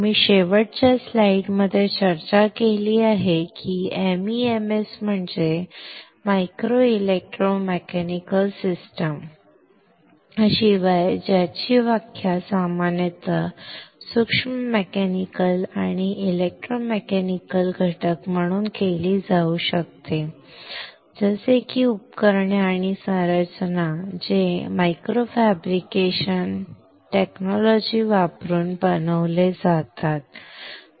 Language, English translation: Marathi, We have discussed in last slide the MEMS is nothing but Micro Electro Mechanical Systems, that in most general form can be defined as miniaturized mechanical and electromechanical elements such as devices and structures which are made using micro fabrication techniques, alright